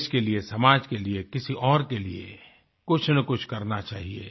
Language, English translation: Hindi, One should do something for the sake of the country, society or just for someone else